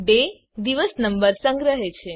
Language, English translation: Gujarati, day stores the day number